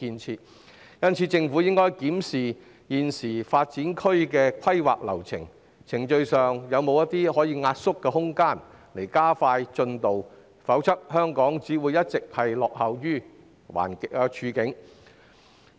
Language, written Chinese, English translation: Cantonese, 因此，政府應檢討現時新發展區的規劃流程，看看程序上有否壓縮的空間，從而加快進度，否則香港只會一直處於落後的處境。, Thus the Government should review the current planning process of the new development area to identify any room for compression in order to speed up the progress otherwise Hong Kong will only remain in a backward position